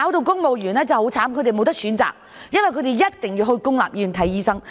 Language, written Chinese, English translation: Cantonese, 公務員真的很可憐，他們沒有選擇，一定要到公立醫院求診。, The situation of the civil service is really deplorable . They have no choice . They have to seek medical services in public hospitals